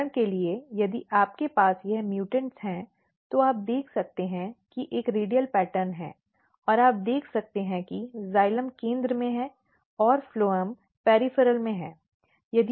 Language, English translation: Hindi, For example, if you look some of the mutants if you have this mutants you can see that there is a radial pattern and you can see that xylem is in the center and phloem is the peripheral